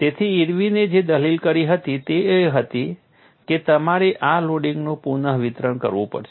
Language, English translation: Gujarati, So, what Irwin argued was you have to have redistribution of this loading